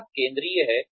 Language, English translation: Hindi, The customer is central